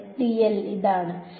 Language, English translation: Malayalam, Yeah, so, dl is this